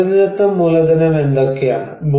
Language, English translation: Malayalam, What are the natural capitals